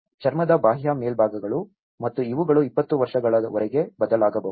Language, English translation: Kannada, The skin which is the exterior surfaces and these may change over 20 years or so